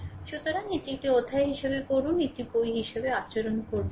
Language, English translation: Bengali, So, you read it as a chapter do not at the book right